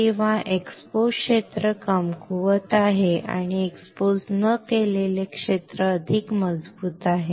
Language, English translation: Marathi, Or the exposed area is weaker and unexposed area is stronger